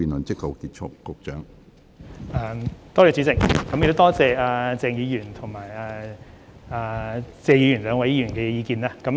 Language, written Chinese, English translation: Cantonese, 主席，多謝謝議員和鄭議員兩位議員的意見。, President I thank the two Members namely Mr TSE and Dr CHENG for their input